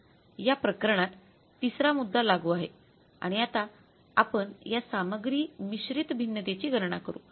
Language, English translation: Marathi, So, third case is applicable in this case and now we will calculate this material mix various